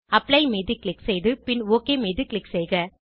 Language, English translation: Tamil, Click on Apply and then click on OK